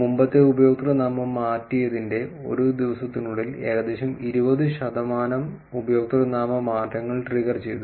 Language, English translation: Malayalam, Around 20 percent of the username changes were triggered within a day of the previous username change